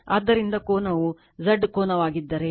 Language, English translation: Kannada, So, if the angle is Z angle theta